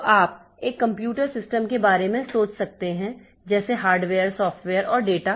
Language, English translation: Hindi, So, you can think about a computer system as hardware, software and data